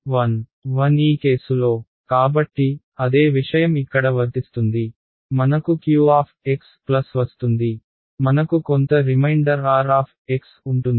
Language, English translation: Telugu, 1 in this case right; so, the same thing applies over here I will get a q x plus I will have some remainder r x right